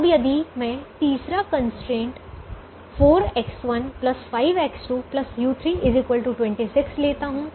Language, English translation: Hindi, now, if i take the third constraint, four x one plus five x two plus u three, equal to twenty six